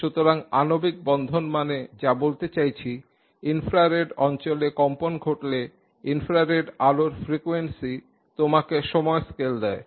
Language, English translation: Bengali, So if you say in the infrared region molecular bonding, I mean the vibrations take place, the frequency of the infrared light gives you also the time scale